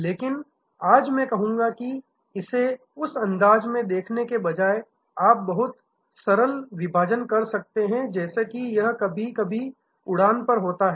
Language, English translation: Hindi, But, today I would say that instead of looking at it in that fashion you can have a much simpler division of, like it happens on flight sometimes